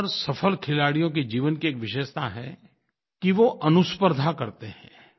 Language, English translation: Hindi, It is a feature in the life of most of the successful players that they compete with themselves